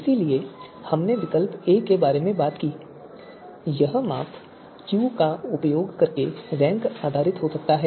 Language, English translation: Hindi, So we talked about that alternative a dash it can be you know rank based using measure Q